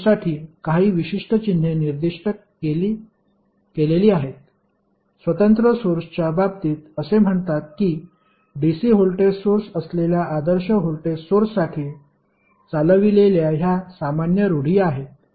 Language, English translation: Marathi, There are certain symbols specified for those sources say in case of independent sources you will see this is the general convention followed for ideal voltage source that is dc voltage source